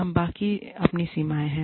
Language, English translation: Hindi, We all have our limits